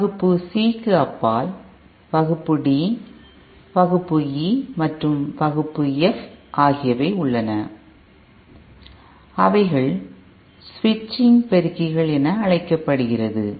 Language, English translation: Tamil, Beyond the Class C, that is the Class D, Class E and Class F are called as switching amplifiers and they are a separate category